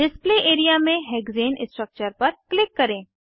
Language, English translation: Hindi, Click on the Hexane structure on the Display area